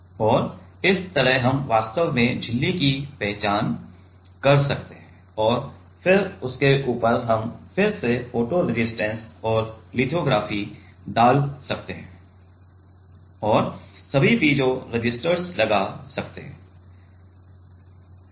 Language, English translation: Hindi, And like that we can actually identify the membrane and then on top of that we can again put photo resist and lithography and put all the piezo resistors